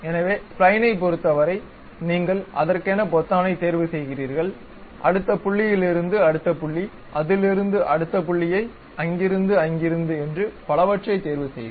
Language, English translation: Tamil, So, for spline you pick that button, next point from next point to next point from there to there and so on